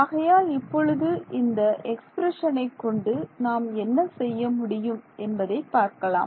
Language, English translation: Tamil, So, let us see now, what we can do with this expression ok